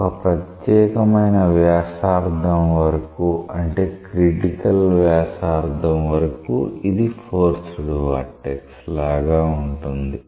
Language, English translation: Telugu, So, up to a particular radius say critical radius, it is like a forced vortex